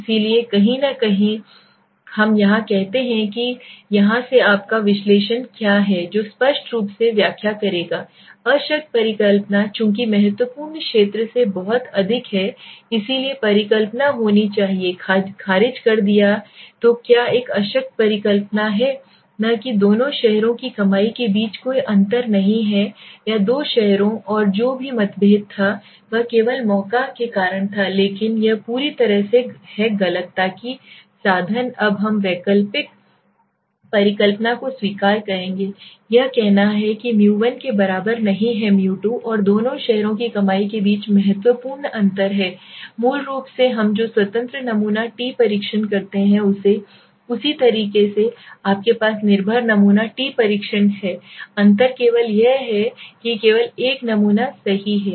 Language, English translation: Hindi, So somewhere let us say here okay, from here what is your analysis what would interpret obviously null hypothesis since it is much way from the critical zone region so null hypothesis to be rejected so what is a null hypothesis not there is no difference between the two cities the earning or the two cities and whatever the differences it was only due to chance but that is completely wrong so that means now we will accept the alternate hypothesis it says that 1 is not equal to 2 and there is a significant differences between the earnings of the two cities right so this is basically what we do independent sample t test similarly you have dependent sample t test the difference only being that is only one sample group